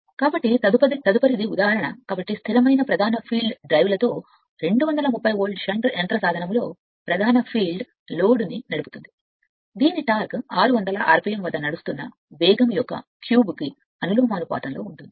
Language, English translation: Telugu, So, next is one example, so a 230 volt shunt motor with a constant main field drives load whose torque is proportional to the cube of the speed the when running at 600 rpm